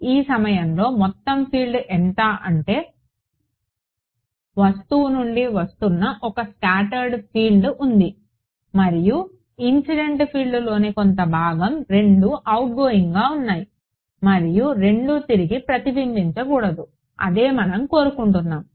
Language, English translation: Telugu, At this point what is the total field there is a scattered field that is coming from the object and some part of the incident field both of them are outgoing and both of them should not be reflected back that is what we want ok